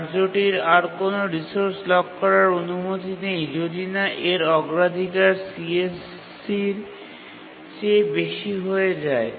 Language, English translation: Bengali, And the task is not allowed to lock a resource unless its priority becomes greater than CSC